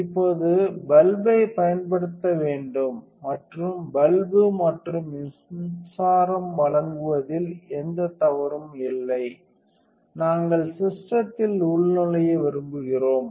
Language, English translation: Tamil, Now, that the bulb is to use and that is nothing wrong with the bulb and the power supply, we want to log into the system